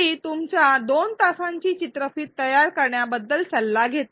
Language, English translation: Marathi, She consults you about designing the 2 hour long video